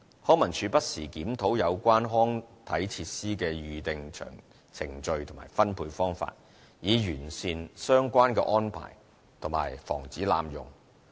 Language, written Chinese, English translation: Cantonese, 康文署不時檢討有關康體設施的預訂程序及分配方法，以完善相關的安排及防止濫用。, LCSD reviews from time to time the concerned booking procedure and allocation of recreation and sports facilities for improving the relevant arrangements and preventing abuse